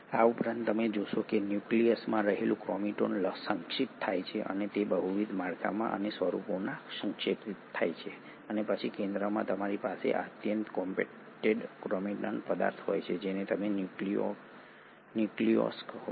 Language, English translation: Gujarati, In addition to this you find that the chromatin in the nucleus is condensed and it gets condensed into multiple structures and forms and then at the centre you have this highly compacted chromatin material which is what you call as the nucleolus